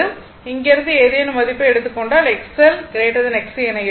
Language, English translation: Tamil, So, if you take any value from here, you will find X L greater than X C